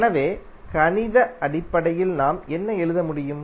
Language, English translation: Tamil, So in mathematical terms what we can write